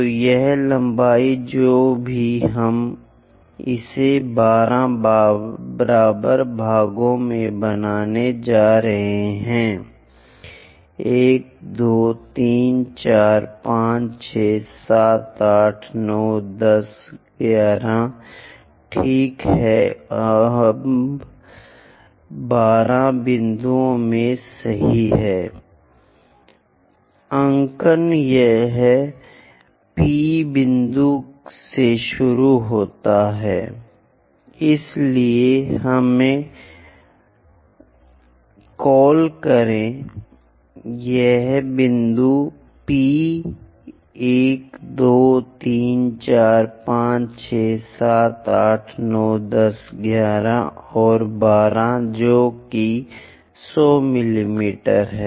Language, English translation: Hindi, So, this length whatever that we are going to make it into 12 equal parts 1 2 3 4 5 6 7 8 9 10 11 ok we are right into 12 points the notation is this begins with P point all the way to 12